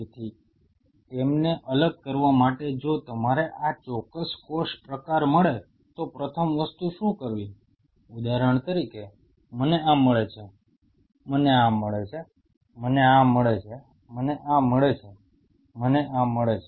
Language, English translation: Gujarati, So, in order to separate them out the first thing what one has to do if you get these specific cell type say for example, I get this, I get this, I get this, I get this, I get this